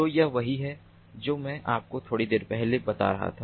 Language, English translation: Hindi, so this is what i was telling you, ah, little little while back